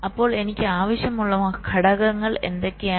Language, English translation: Malayalam, so what are the components i need